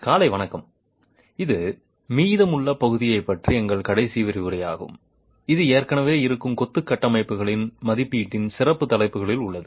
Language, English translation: Tamil, We will, this is our last lecture on the remaining portion which is on the special topic of assessment of existing masonry structures